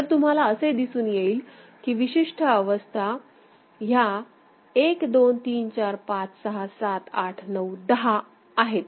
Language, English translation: Marathi, So, you can see that the unique states are 1 2 3 4 5 6 7 8 9 10